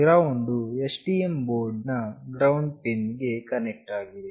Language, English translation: Kannada, The GND will be connected to the ground pin of the STM board